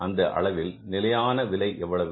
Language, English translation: Tamil, How much is the standard